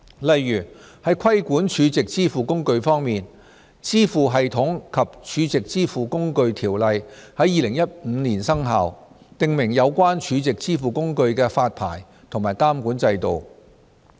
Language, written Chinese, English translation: Cantonese, 例如在規管儲值支付工具方面，《支付系統及儲值支付工具條例》於2015年生效，訂明有關儲值支付工具的發牌及監管制度。, For example in respect of regulating SVFs the Payment Systems and Stored Value Facilities OrdinanceCap . 584 which commenced operation in 2015 provides for a licensing and regulatory regime for SVFs